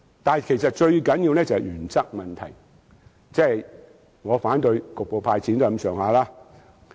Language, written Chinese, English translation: Cantonese, 但是，最重要的是原則問題，正如我反對局部"派錢"也是類似意思。, But the most important of all is the principle as in the case of my objection to cash handouts for only some people